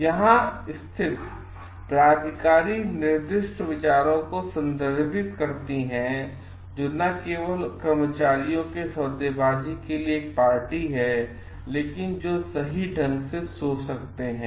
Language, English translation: Hindi, Positions here refers to stated views not only those who are a party to the bargaining employees, but who can think correctly